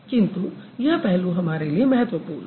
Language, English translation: Hindi, Rather the aspect is more important for us